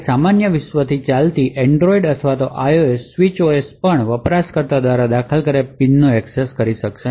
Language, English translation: Gujarati, Even the Android or IOS switch OS running from your normal world would not be able to have access to the PIN which is entered by the user